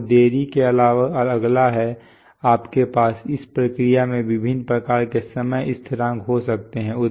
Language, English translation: Hindi, Next is and apart from delay, you could have various kinds of time constants in this process